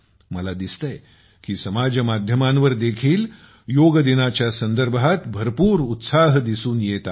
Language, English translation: Marathi, I see that even on social media, there is tremendous enthusiasm about Yoga Day